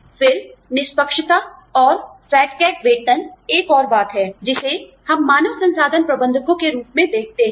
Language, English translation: Hindi, Then, fairness and fat cat pay, is another thing, that we deal with, as HR managers